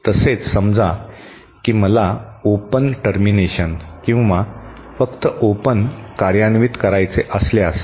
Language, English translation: Marathi, Similarly say if I want to implement an open termination, an open termination or simply an open